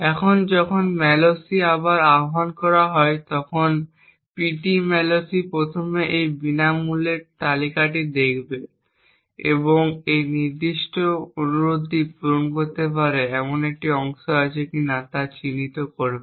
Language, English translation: Bengali, Now when malloc is invoked again pt malloc would first look into these free list and identify if there is a chunk which can satisfy this particular request